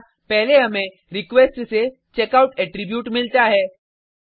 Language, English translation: Hindi, Here, first we get the checkout attribute from the request